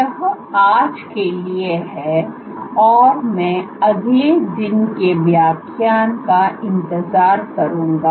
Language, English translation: Hindi, That’s it for today I will look forward to next day’s lecture